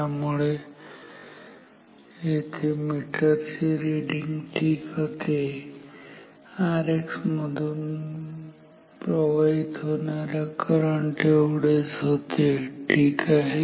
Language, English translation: Marathi, So, here ammeter reading was fine is the same as the current through R X current in R X ok